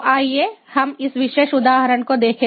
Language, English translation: Hindi, so let us look at this particular example